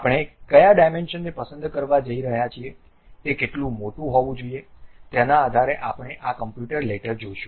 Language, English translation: Gujarati, Based on the dimensions what we are going to pick how big is supposed to be based on that we will see this computer later